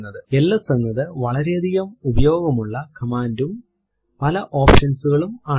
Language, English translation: Malayalam, ls is a very versatile command and has many options